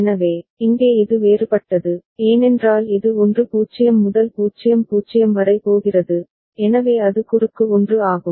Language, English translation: Tamil, So, here it is different, because it is going from 1 0 to 0 0 ok, so that is why it is cross 1